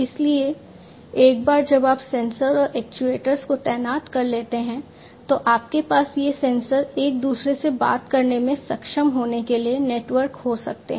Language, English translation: Hindi, So, once you have deployed the sensors and actuators you can have these sensors being networked to be able to talk to each other